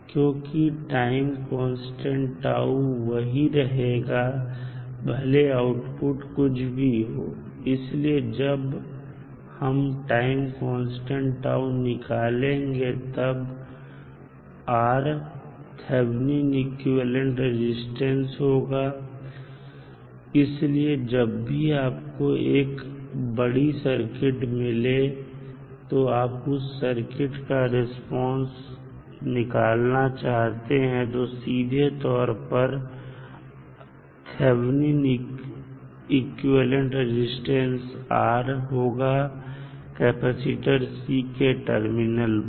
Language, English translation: Hindi, So, the time constant is the same regardless of what output is defined to be, so in finding the time constant tau that is equal to RC, R is often the Thevenin equivalent resistance, so when you have given the larger circuit and you want to find out the circuit response you can simply use the Thevenin theorem, and R would be simply a Thevenin equivalent resistance, at the terminal of capacitor